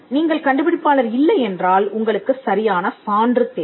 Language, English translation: Tamil, If you are not the inventor, then, you require a proof of right